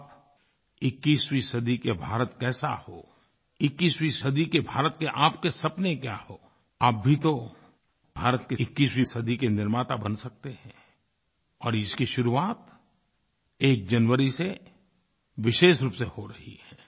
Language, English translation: Hindi, You too can be the makers of 21st century India and this opportunity comes into being, very specially, on the 1st of January